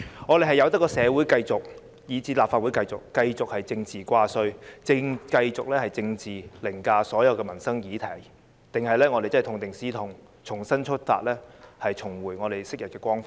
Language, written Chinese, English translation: Cantonese, 我們應該任由社會以至立法會繼續以政治掛帥，繼續以政治凌駕所有民生議題，還是應該痛定思痛，重新出發，重回昔日光輝？, Should we let society and the Legislative Council continue to be dictated by politics and let livelihood issues be overridden by politics? . Or should we ponder about our painful experience and start again to recapture our past glory?